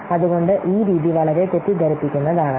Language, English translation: Malayalam, So that's why this method potentially may what may be very misleading